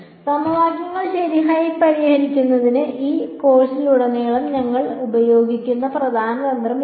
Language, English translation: Malayalam, Again this is the key strategy we will use throughout this course in solving systems of equations right